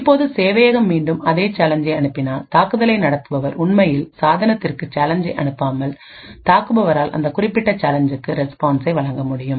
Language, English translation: Tamil, Now if the server actually sent the same challenge again, the man in the middle the attacker would be able to actually respond to that corresponding challenge without actually forwarding the challenge to the device